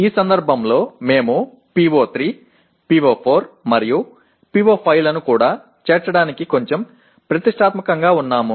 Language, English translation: Telugu, In this case we are a bit ambitious to include PO3, PO4, and PO5 as well